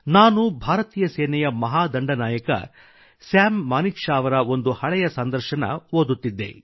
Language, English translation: Kannada, I was reading an old interview with the celebrated Army officer samManekshaw